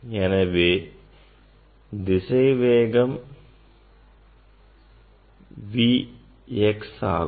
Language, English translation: Tamil, velocity is V x